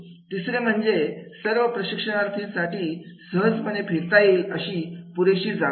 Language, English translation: Marathi, Third is, it has sufficient space for the trainees to move easily around in of around in